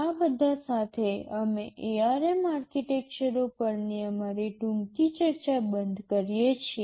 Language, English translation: Gujarati, With all this, we stop our brief discussion on the ARM architectures